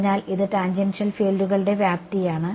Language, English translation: Malayalam, So, this is magnitude of tangential fields ok